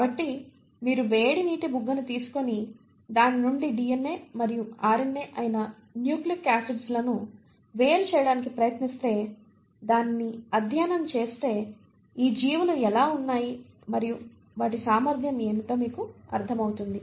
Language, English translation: Telugu, So if you take a hot water spring water and try to isolate nucleic acids which is DNA and RNA from there, and study it, you kind of get an insight into how these organisms are and what they are capable of